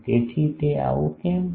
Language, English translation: Gujarati, So, why it is so